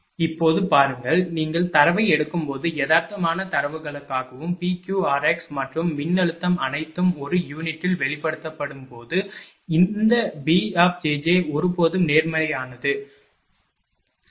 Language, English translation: Tamil, Look now, for realistic data when you take the data and when P Q r x and voltage all are expressed in per unit, that b j j is always positive, right